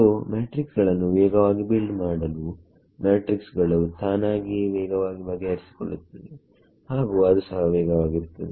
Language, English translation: Kannada, So, to build the matrices fast the matrices itself fast to solve it is also fast